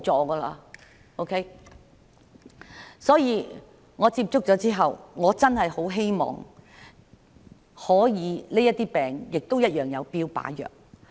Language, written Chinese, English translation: Cantonese, 因此，我跟她接觸後，我真的很希望這些病也可以有標靶藥。, Therefore after contacting her I really hope that targeted therapy drugs are available for these diseases